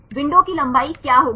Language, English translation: Hindi, What will be the window length